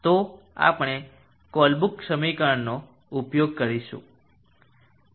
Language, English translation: Gujarati, So we will use the Colebrook equation